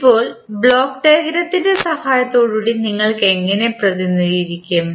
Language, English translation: Malayalam, Now, how you will represent with the help of block diagram